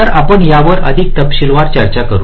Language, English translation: Marathi, so we shall be discussing this in more detail later